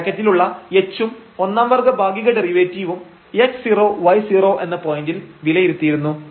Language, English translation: Malayalam, So, this parenthesis here h and the partial derivatives the first order partial derivatives and this evaluated at x 0 y 0 point